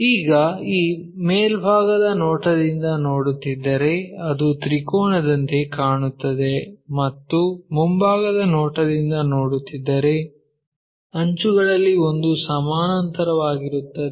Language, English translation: Kannada, Now, if we are looking from top view, it looks like a triangle and if we are looking from a front view because one of the edge is parallel